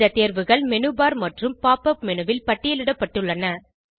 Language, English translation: Tamil, These options are listed in the Menu bar and Pop up menu